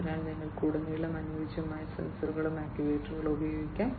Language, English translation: Malayalam, So, throughout you can use the suitable sensors and actuators, ok